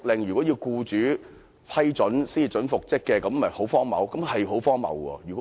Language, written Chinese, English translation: Cantonese, 現時要僱主批准才可執行復職令，這豈不是很荒謬？, At present consent of the employer is required before the order for reinstatement can be enforced